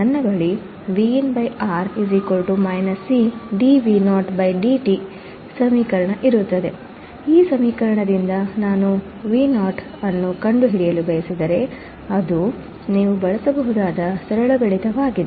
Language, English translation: Kannada, If I want to find Vo from this equation, this is very simple mathematics that we can use